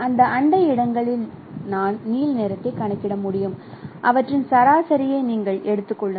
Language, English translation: Tamil, So, I can compute the blue hue in those neighboring locations and you take the average of them